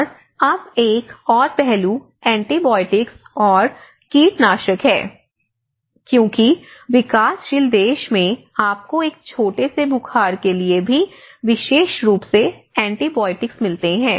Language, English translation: Hindi, And now another aspect is antibiotisation and pesticidization because in the health sector even you go for a small fever, you get antibiotics especially in developing countries